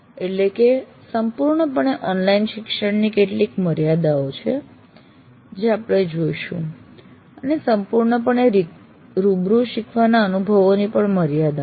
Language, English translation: Gujarati, That means fully online has some limitations as we will see and fully face to face learning experiences have their own limitations